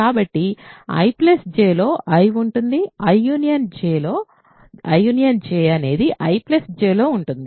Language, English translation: Telugu, So, this is in I this is in J